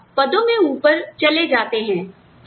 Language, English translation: Hindi, And, you move up the ranks